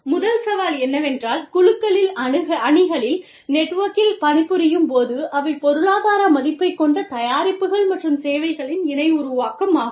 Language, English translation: Tamil, The first challenge is, that networked working, working in networks, working in teams, working in groups, is the co creation of products and services, that have economic value